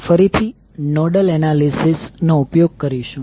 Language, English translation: Gujarati, So we will again use the nodal analysis